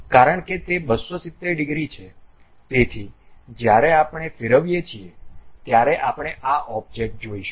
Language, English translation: Gujarati, So, when we revolve because it is 270 degrees thing we see this object